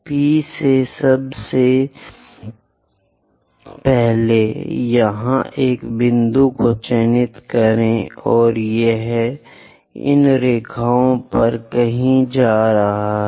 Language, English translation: Hindi, From P first of all mark a point somewhere here and this one going to intersect somewhere on this lines